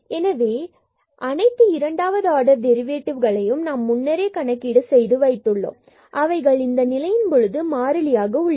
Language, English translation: Tamil, So, all these second order derivatives we have already computed and they are actually constant in this case